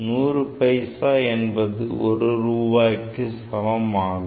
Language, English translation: Tamil, 100 paisa is equal to 1 rupee